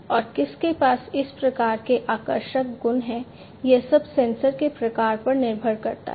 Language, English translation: Hindi, And who has what type of attractive properties it all depends on the type of sensor